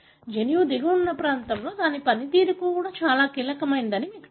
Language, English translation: Telugu, Now you know this region that is present downstream of the gene is very critical for its function